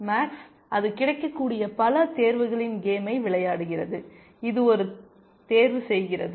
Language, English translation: Tamil, So, max is playing a game of the many choices that it has available, it makes one choice